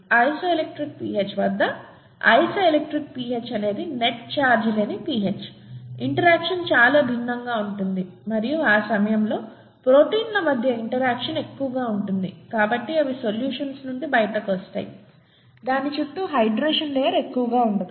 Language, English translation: Telugu, At the isoelectric pH, isoelectric pH is a pH at which there is no net charge, the interactions would be very different and at that time, the interaction between the proteins could be higher, so they fall out of solutions; there is no longer much of the hydration layer around it